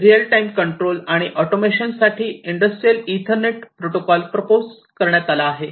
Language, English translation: Marathi, So, the Industrial Ethernet protocols for real time control and automation have been proposed